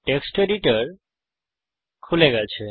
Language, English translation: Bengali, Now lets open the text editor